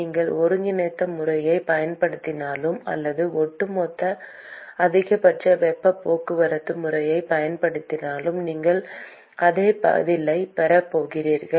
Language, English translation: Tamil, Whether you use the integral method or whether you use the overall maximal heat transport method, you are going to get exactly the same answer